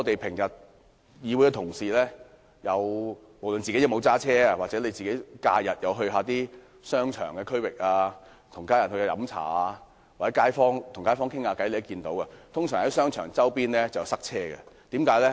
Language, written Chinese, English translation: Cantonese, 不論議會同事有否駕車，他們在假日到商場附近、與家人飲茶或與街坊交談便會知道，商場周邊總會塞車。, It does not matter whether Honourable colleagues have cars they can observe by going to shopping centre during holidays having meals with family members or talking to kaifongs that the traffic around shopping centres is always very congested